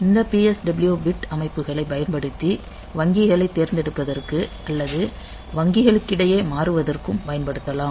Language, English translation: Tamil, So, this way we can use this PSW bit settings for selecting or switching between the banks